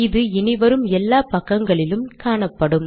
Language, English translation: Tamil, Now this is going to come on every page